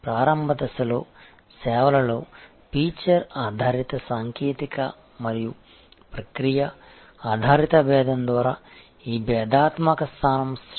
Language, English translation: Telugu, In the early stage, this differentiation position is generated by feature driven technical and process based differentiation in services